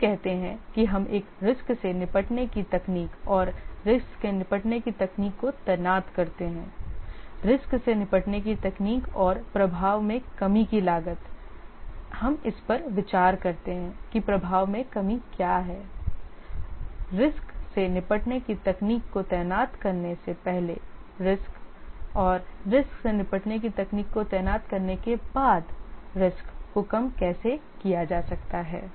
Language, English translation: Hindi, Let's say we deploy some risk handling technique and the risk handling technique, the cost of the risk handling technique, and the cost of the risk handling technique and the reduction of the impact we consider this year that the reduction in impact is the risk exposure before deploying the risk handling technique minus the risk exposure after the risk handling technique is deployed